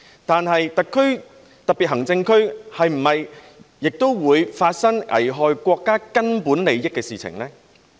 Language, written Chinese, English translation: Cantonese, 但是，特別行政區是不是也會發生危害國家根本利益的事情呢？, But could something happen in the region that might jeopardize the fundamental interests of the country?